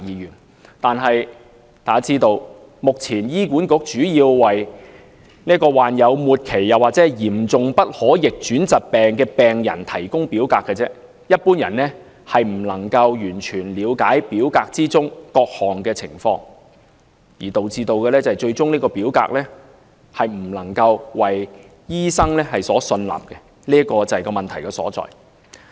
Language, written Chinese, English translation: Cantonese, 然而，大家都知道，目前醫管局主要為"罹患末期或嚴重不可逆轉疾病的病人"提供表格，一般人未必完全了解表格中的各類情況，最終表格未必為醫生所信納，這就是問題所在。, Nevertheless as everyone knows the Hospital Authority currently provides forms mainly for patients who are suffering from terminal or serious irreversible diseases . Ordinary people may not fully understand the various situations described on the form and eventually the form may not be accepted by doctors . This is the point at issue